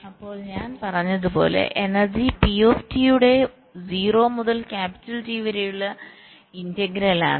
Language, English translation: Malayalam, so energy, as i said, is the integral of pt from zero to capital t